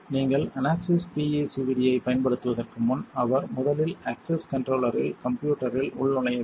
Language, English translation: Tamil, Before you make using the unaxis PECVD he must first log into the system at the access controller